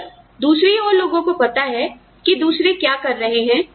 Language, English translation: Hindi, If on the other hand, people know, what the others are doing